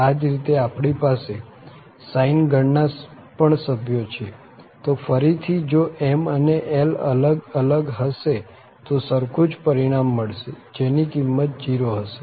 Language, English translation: Gujarati, And similarly, we have the members from the sine family so again the same result if m and n are different, the value is 0